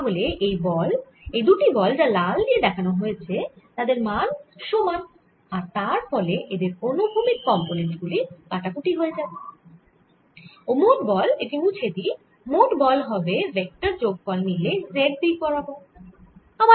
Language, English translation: Bengali, so these two forces shown be red arrows are going to have the same magnitude and therefore their horizontal components will are going to be cancelling and the net force let me erase this net force therefore, if i take a vector sum, is going to be in the z direction